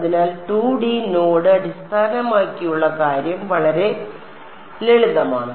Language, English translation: Malayalam, So, the 2D node based thing is very very simple right